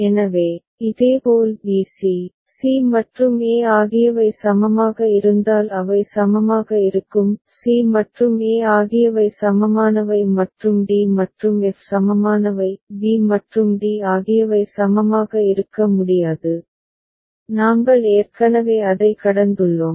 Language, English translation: Tamil, So, similarly b c, they will be equivalent if c and e are equivalent; c and e are equivalent and d and f are equivalent fine; b and d cannot be equivalent, we have already crossed it out ok